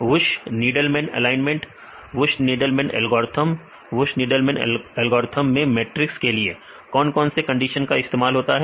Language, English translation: Hindi, Wunsch Needleman alignment; Wunsch Needleman algorithm What are the conditions used to fill the matrix in Wunsch Needleman algorithm